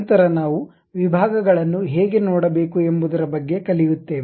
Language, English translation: Kannada, Thereafter we will learn about how to view sections